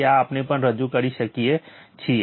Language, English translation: Gujarati, So, this we also can represent